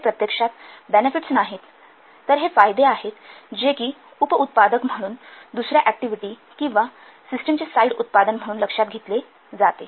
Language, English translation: Marathi, These are not directly actually benefits but these benefits are realized as a byproduct as a side product of another activity or system